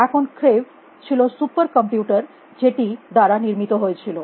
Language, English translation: Bengali, Now, creave was the you know super computer, which of deal by same